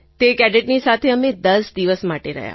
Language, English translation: Gujarati, We stayed with those cadets for 10 days